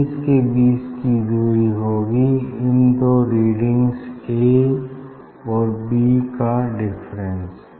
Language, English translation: Hindi, distance between the image will be difference of this two reading a and b